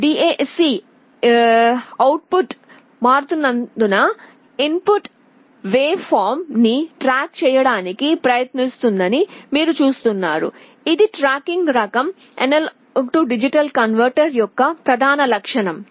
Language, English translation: Telugu, And you see the DAC output is trying to track the input waveform as it is changing, this is the main characteristic of the tracking type A/D converter